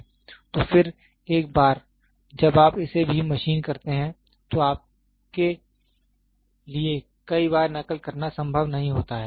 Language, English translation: Hindi, So, under once you machine it also, it is not possible for you to replicate several times